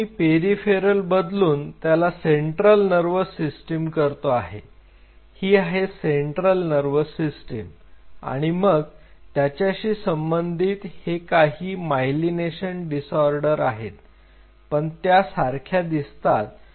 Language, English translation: Marathi, Now I am just changing peripheral, now I make it central nervous system this is central nervous system then its corresponding myelination disorder of course, that remains the same